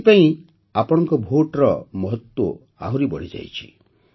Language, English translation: Odia, That is why, the importance of your vote has risen further